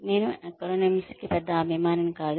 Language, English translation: Telugu, I am not a big fan of acronyms